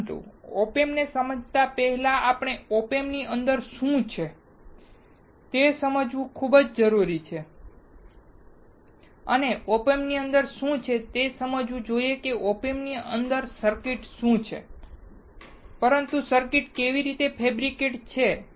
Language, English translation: Gujarati, But before we understand Op Amps we should understand what is within Op Amp and for understanding within Op Amp not in terms of what are the circuits within Op Amp, but how the circuits are fabricated